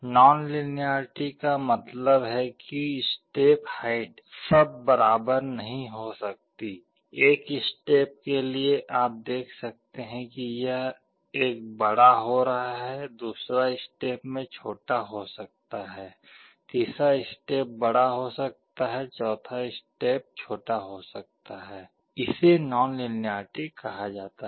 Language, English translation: Hindi, Nonlinearity means the step height may not all be equal, for one step you may see that it is going big, second step may be small, third step may be big, fourth step may be small, this is called nonlinearity